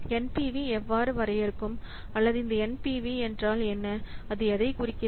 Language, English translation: Tamil, So, how we will define or what this NPV what does it represent